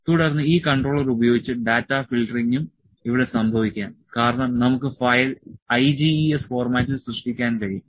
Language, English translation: Malayalam, Then data filtering can also happen using this controller here on only because, we can produce we can create the file in IGES format